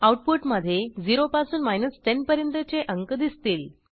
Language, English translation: Marathi, The output will consist of a list of numbers 0 through 10